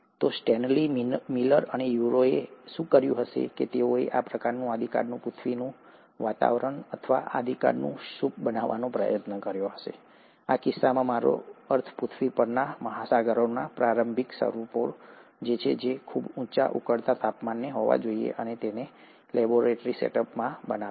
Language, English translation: Gujarati, So what did Stanley Miller and Urey did is that they tried to create this kind of a primordial earth atmosphere, or the primordial soup, in this case I mean the early forms of oceans on earth which must have been at a very high boiling temperatures, and created that in a laboratory setup